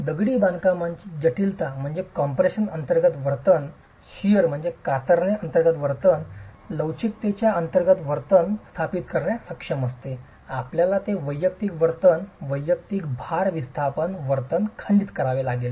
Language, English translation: Marathi, And the complexity of masonry is to be able to establish the behavior under compression, the behavior under shear, the behavior under flexure, you have to break it down to the individual behavior, individual load displacement behavior